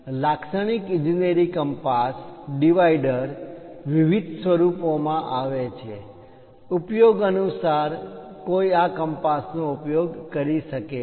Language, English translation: Gujarati, So, typical engineering compass dividers come in different formats; based on the application, one uses this compass